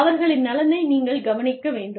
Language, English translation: Tamil, You have to look after, their welfare